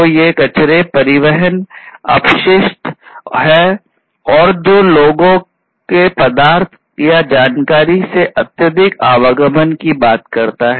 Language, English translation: Hindi, So, these wastes are transportation wastes, which talks about excessive movement of people from materials or information